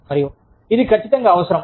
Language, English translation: Telugu, And, it is very hard